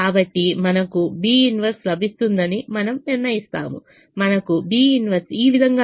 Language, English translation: Telugu, we calculate the inverse, we will get b inverse this way